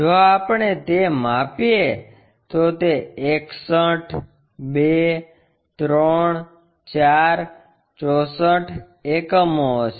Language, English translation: Gujarati, If we measure that, it will be 61, 2, 3, 4, 64 units